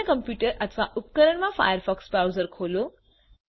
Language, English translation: Gujarati, Open the firefox browser in the other computer or device